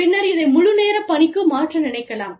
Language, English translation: Tamil, And then, want to convert this, to a full time position, later